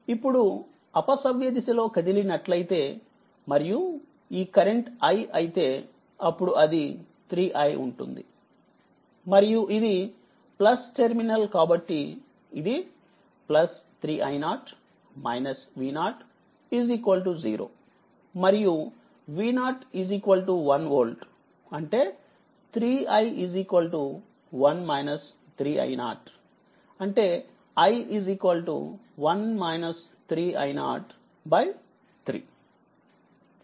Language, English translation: Telugu, And if you your what you call move like this, say anticlockwise direction and, this current I take I say, if it is I then it will be 3 i it will be 3 i, then plus terminal it is encountering plus plus 3 i 0 3 i 0, then minus V 0 is equal to 0 and V 0 is equal to 1 volt right; that means, 3 i is equal to V 0 is 1 volt that is 1 minus 3 i 0 right; that means, i is equal to 1 minus 3 i 0 divided by 3 right